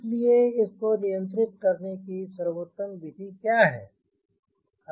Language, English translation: Hindi, so what is the best way to handle